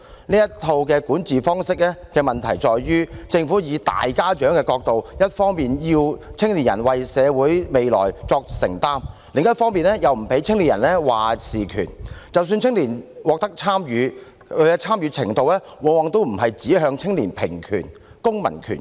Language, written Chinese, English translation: Cantonese, 這套管治方式的問題在於政府從大家長的角度，一方面要青年人為社會未來作承擔，但另一方面又不給予青年人"話事權"，即使青年獲准參與，其參與程度往往也不是指向青年平權、公民權等。, The problem with such an approach of governance is that on the one hand the Government wants young people to assume responsibility for the future of society; but on the other it does not give young people any say . Even if young people are allowed to participate often the extent of participation does not point towards equal rights civil rights and so on for young people